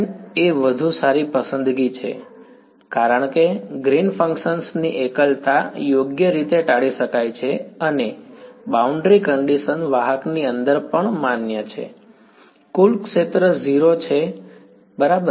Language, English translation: Gujarati, Dotted line is a better choice because singularity of green functions can be avoided right, and the boundary condition is valid inside the conductor also field total field is 0 right